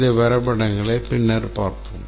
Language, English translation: Tamil, We will see these diagrams later